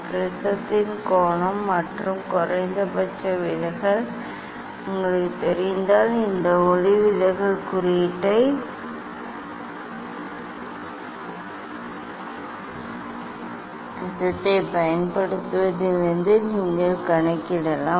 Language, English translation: Tamil, if you know the angle of prism and the minimum deviation; this refractive index you can calculate from using this formula